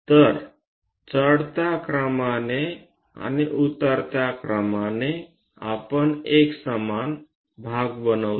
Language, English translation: Marathi, So, in the ascending order and descending order, we make equal number of parts